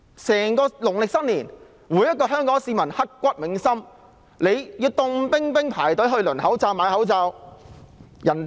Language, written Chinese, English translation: Cantonese, 在整段農曆新年期間，每位香港市民也刻骨銘心，冒着寒冷天氣輪候購買口罩。, Every Hong Kong citizen had an unforgettable Lunar New Year during which they braved the cold weather waiting in line to buy masks